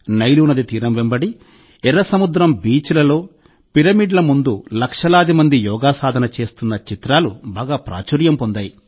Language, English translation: Telugu, The pictures of lakhs of people performing yoga on the banks of the Nile River, on the beaches of the Red Sea and in front of the pyramids became very popular